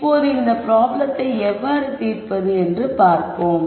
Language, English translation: Tamil, Now, let us see how we solve this problem